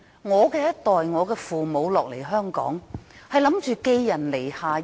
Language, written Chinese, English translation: Cantonese, 我父母一代來香港，只是打算暫時寄人籬下。, My parents came to Hong Kong with the intent for a short stay